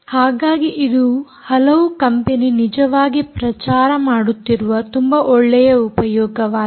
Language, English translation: Kannada, so this is a very nice application which many companies are actually promoting